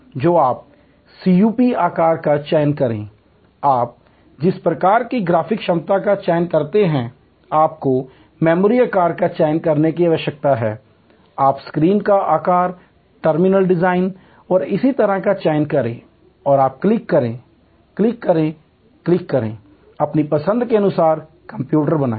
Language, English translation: Hindi, So, you select the CPU size, you select the kind of graphic capability, you need select the memory size, you select the screen size, the terminal design and so on and you click, click, click, click create the computer to your choice